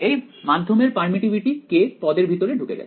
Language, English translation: Bengali, The permittivity of the medium enters into this k term